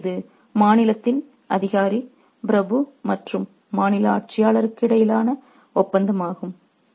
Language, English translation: Tamil, So, this is the contract between the official of the state, the aristocrat and the ruler of the state